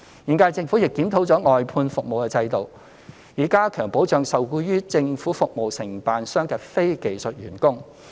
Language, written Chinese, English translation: Cantonese, 現屆政府亦檢討了外判服務制度，以加強保障受僱於政府服務承辦商的非技術員工。, The current - term Government has also reviewed the government outsourcing system thereby enhancing the protection of the non - skilled employees engaged by Government Service Contractors